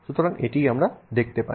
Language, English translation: Bengali, So, that is what we will see here